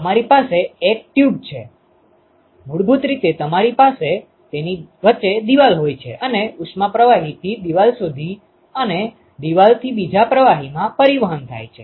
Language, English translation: Gujarati, You have you have a tube, basically you have a wall in between and the heat is transported from the fluid to the wall and from wall to the other fluid